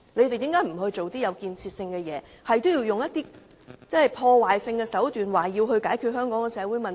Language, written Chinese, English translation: Cantonese, 為何他們不做些有建設性的事情，反而不斷利用破壞性手段解決香港的社會問題？, Why do they have to solve Hong Kongs social problems by destructive means continuously instead of doing something constructive?